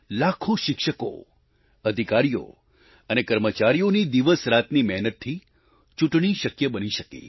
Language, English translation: Gujarati, Lakhs of teachers, officers & staff strived day & night to make it possible